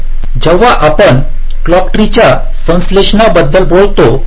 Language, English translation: Marathi, so when we talk about clock tree synthesis, so it is performed in two steps